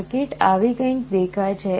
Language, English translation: Gujarati, The circuit looks like this